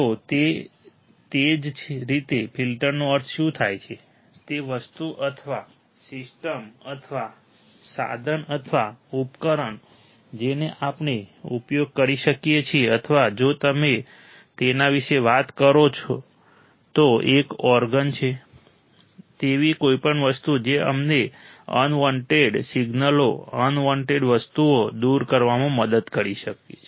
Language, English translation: Gujarati, So, same way, what does exactly filter means, that the thing or a system or a tool or a device that we can use or an organ if you take talk about it is an organ, so anything that can help us to remove the unwanted signals, unwanted things